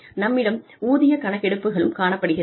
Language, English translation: Tamil, We also have pay surveys